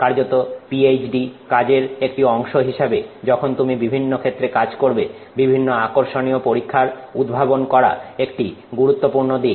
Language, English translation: Bengali, In fact as part of you know PhD work when you work on different areas designing interesting experiments is a very important aspect